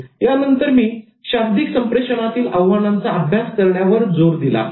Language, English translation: Marathi, And then I later focused on the challenges of studying non verbal communication